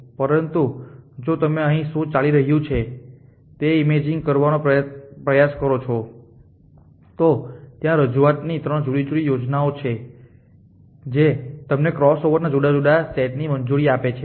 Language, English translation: Gujarati, But if you try to imaging words happing here is at with is few different schemes of representation they allow you different says of crossover